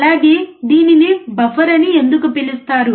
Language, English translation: Telugu, Also, why it is called buffer